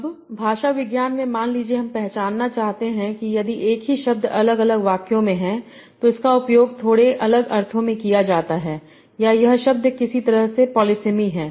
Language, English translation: Hindi, Now in linguistics suppose I want to distinguish or identify if the same word is being used in two different sentences is it being used in slightly different meanings or is it is the word polysamous somehow